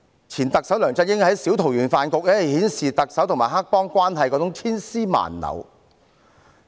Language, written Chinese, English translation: Cantonese, 前特首梁振英的小桃園飯局顯示了特首和黑幫千絲萬縷的關係。, Former Chief Executive LEUNG Chun - yings dinner gathering has shown the intricate relationship between the Chief Executive and gangsters